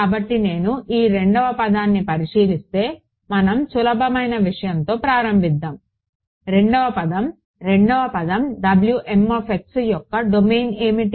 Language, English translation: Telugu, So, this second term if I look at let us start with the easy thing the second term the second term W m x what is the domain of W m x